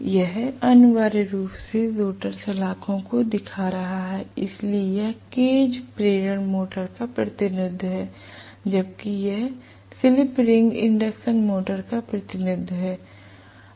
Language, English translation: Hindi, This is essentially showing the rotor bars, so this the representation of cage induction motor, whereas this is the slip ring induction motor representation okay